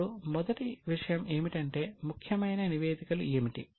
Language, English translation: Telugu, Now, the first thing, what are the important statements